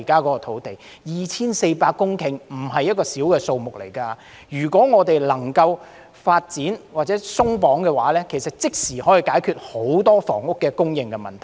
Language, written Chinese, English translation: Cantonese, 面積達 2,400 公頃並非小數目，如果我們能夠發展或鬆綁這些土地，便可立即解決很多房屋供應問題。, That 2 400 hectares of land is in no way a small parcel . If we can develop or unleash such lands for development many housing supply problems can be resolved instantly